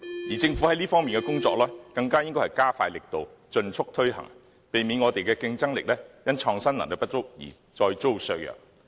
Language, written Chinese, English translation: Cantonese, 而政府在這方面的工作更應加快力度，盡速推行，避免我們的競爭力因創新能力不足而再遭削弱。, The Government should expedite the efforts in this regard or else our competitiveness will again be undermined due to the lack of innovative capacity